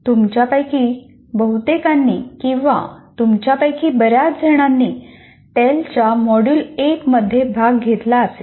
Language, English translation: Marathi, Many of you or most of you would have participated in the module 1 of tail